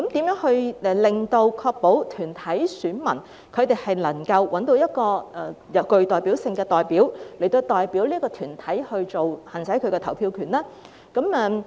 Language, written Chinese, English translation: Cantonese, 如何確保團體選民能夠找到具代表性的代表，來代表團體行使投票權？, How can we ensure that corporate electors can find a representative with representation to exercise their right to vote on their behalf?